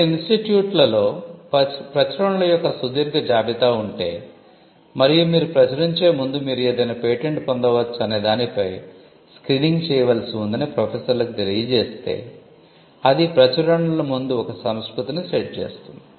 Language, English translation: Telugu, So, if some if the institute has a long list of publications happening at regular intervals and if the professors are informed that before you publish you have to actually do a screening on whether something can be patented then that will set a culture where the publications before they get published are also screened for IP